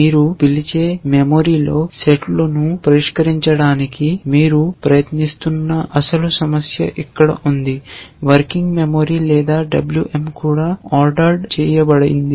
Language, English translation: Telugu, Whereas the actual problem that you have trying to solve sets in a memory which we call as working memory or WM which is also ordered